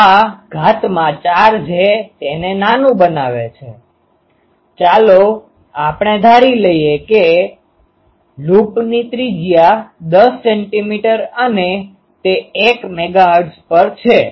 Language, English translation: Gujarati, So this to the power 4 that makes it; so, let us do a ah ah take suppose the radius of the loop is 10 centimeter and at 1 megahertz